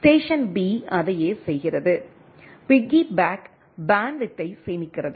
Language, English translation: Tamil, Station B does the same thing, piggybacking saves bandwidth right